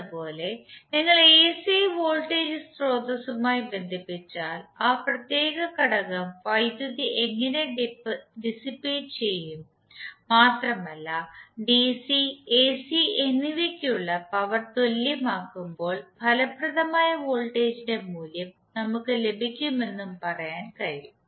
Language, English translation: Malayalam, Similarly you can say that if you connect the AC voltage source then how power would be dissipated by that particular element and when we equate the power for DC and AC we get the value of effective voltage